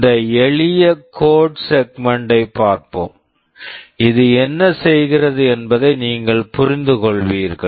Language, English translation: Tamil, Let us look at this simple code segment; you will understand what this is doing